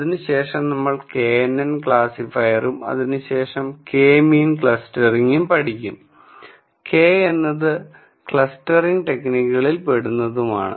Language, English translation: Malayalam, We will follow that up with k n n classifier then we will teach something called k means clustering, k means come under what are called clustering techniques